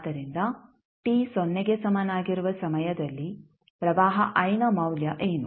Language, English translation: Kannada, So, what is the value of current I at time t is equal to 0